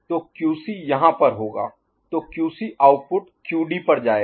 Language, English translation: Hindi, So, QC will be over here so QC output will go to the QD